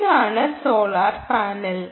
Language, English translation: Malayalam, this is the solar panel